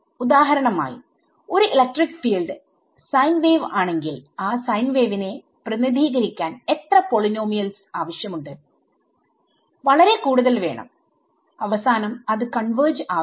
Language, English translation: Malayalam, For example, if an electric field is a sine wave how many polynomials you need to represent a sine wave right a very large amount and finally, it does not converge